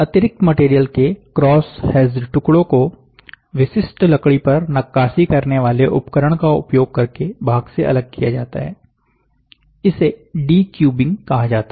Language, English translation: Hindi, The cross hatched piece of the excess material are separated from the part using typical wood carving tool are called decubing